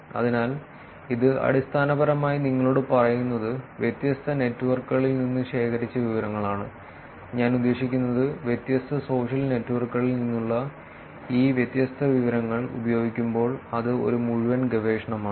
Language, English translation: Malayalam, So, this basically tells you different types of information are collected from different networks; I mean that is a whole body of research in terms of actually using these different sets of information from different social networks